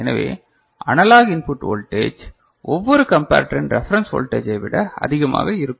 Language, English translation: Tamil, So, the analog input voltage is more than the reference voltage for each of the comparator, right